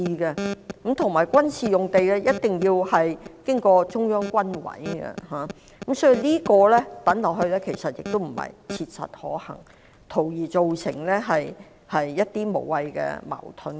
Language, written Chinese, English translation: Cantonese, 況且，軍事用地的事宜一定要經過中央軍委審批，所以軍事用地作為選項並非切實可行，只會造成一些無謂矛盾。, Moreover any matters relating to the military sites are subject to the approval of the Central Military Commission . Therefore the use of military sites is an impracticable option which will only give rise to senseless contradictions